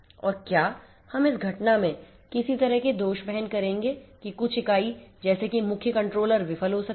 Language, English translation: Hindi, And whether we are going to have some kind of fault tolerance in the event that some entity may be the main controller fails